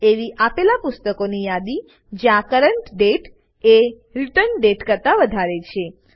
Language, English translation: Gujarati, The list of books issued when the current date is more than the return date